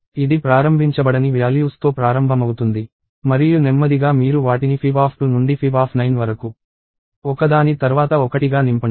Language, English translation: Telugu, It starts out with uninitialized values and slowly you fill them up one after the other from fib of 2 to fib of 9